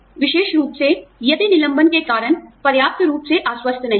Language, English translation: Hindi, Especially, if the reasons for the layoff, are not convincing enough